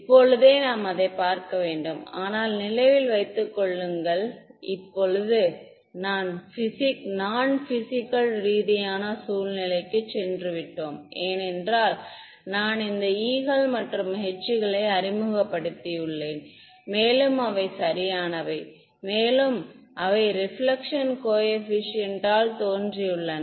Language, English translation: Tamil, Right so, we have to see that right, but remember I mean this is now we have gone to a non physical situation because I have introduced these e ones and h ones right so, and they have made an appearance in the reflection coefficient